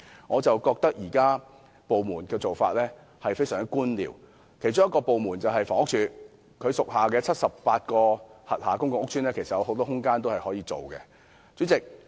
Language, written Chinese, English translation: Cantonese, 我覺得政府部門現行的做法非常官僚，其中之一是房屋署，其轄下的78個公共屋邨其實可提供很多空間發展墟市。, I think the current approach adopted by government departments is very bureaucratic . An example is the Housing Department . The 78 public housing estates under its purview can actually provide much room for developing bazaars